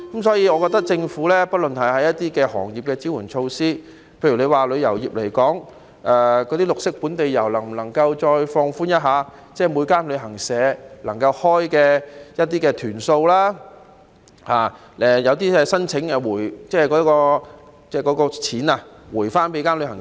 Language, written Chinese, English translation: Cantonese, 所以，就政府對各行業提供的支援措施，例如以旅遊業來說，那些本地綠色遊的限制能否再次略為放寬，諸如每間旅行社能夠開辦的團數上限，以及可否加快把鼓勵金發給旅行社。, Therefore regarding the support measures provided by the Government for various trades and industries For example in the case of the tourism industry can the restrictions on green local tours be slightly relaxed again such as the maximum number of tours that can be operated by each travel agent and can the payment of the cash incentives to travel agents be expedited?